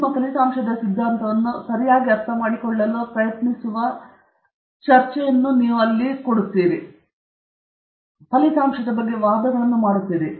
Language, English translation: Kannada, A discussion is where you try to understand the implication of your result okay; so here you are making some argument about that result